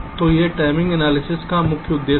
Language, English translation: Hindi, so this is the main objective of timing analysis